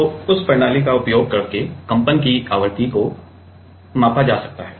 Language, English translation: Hindi, So, using that system the frequency of vibration can be measured